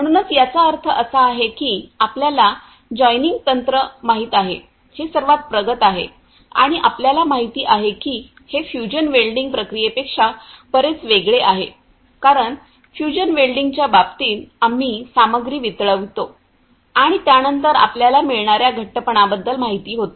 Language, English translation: Marathi, So, it means it is the most advanced you know the joining technique and you know it is quite different from this the fusion welding process because in case of fusion welding we melt the material and then after that it gets you know the after solidification you gets the joint and all